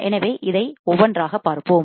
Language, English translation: Tamil, So, let us see this one by one